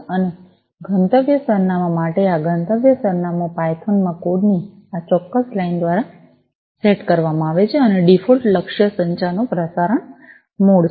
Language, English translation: Gujarati, And for the destination address this destination address is set through this particular line of code in python and the default target is the broadcast mode of communication